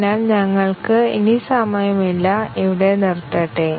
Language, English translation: Malayalam, So, we are running out of time we will stop here